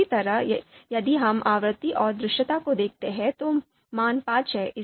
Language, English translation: Hindi, So if similarly if we look at frequency and visibility, so this value is five